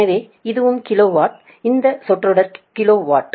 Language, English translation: Tamil, this term is also kilo watt, this is kilo watt, this